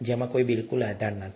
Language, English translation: Gujarati, There is absolutely no basis to do that